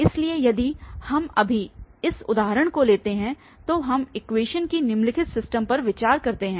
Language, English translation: Hindi, So, if we take this example now, we consider the following system of equations